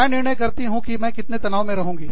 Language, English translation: Hindi, I decide, how much stress, i am under